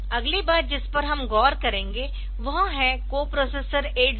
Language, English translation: Hindi, Next thing that will look into is the co processor 8087